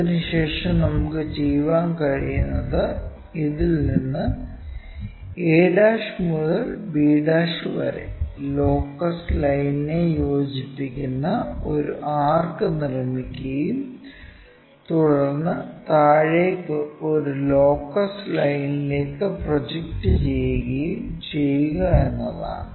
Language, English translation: Malayalam, Then, what we can do is from this a ' to b ' make an arc which cuts this locus line and project that line all the way down to this locus line